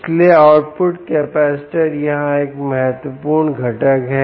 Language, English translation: Hindi, ok, so the output capacitor is an important component here